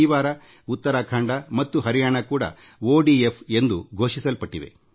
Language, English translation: Kannada, Uttarakhand and Haryana have also been declared ODF, this week